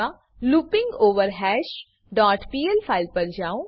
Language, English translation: Gujarati, So, let me switch to loopingOverHash dot pl in gedit